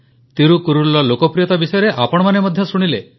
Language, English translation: Odia, All of you too heard about the populairity of Thirukkural